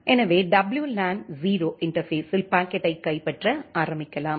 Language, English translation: Tamil, So, let us start capturing the packet in WLAN 0 interface